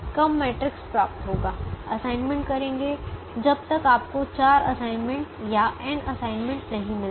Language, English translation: Hindi, start making assignments till you get four assignments or n assignments